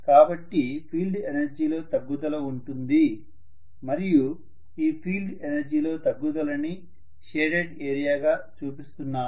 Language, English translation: Telugu, So I am having a reduction in the field energy and the reduction is the field energy is this shaded area